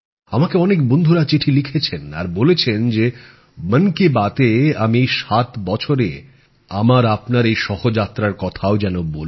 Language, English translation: Bengali, Many friends have sent me letters and said that in 'Mann Ki Baat', I should also discuss our mutual journey of 7 years